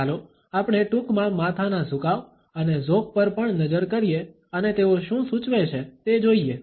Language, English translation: Gujarati, Let us also briefly look at the head tilts and inclines and what exactly do they suggest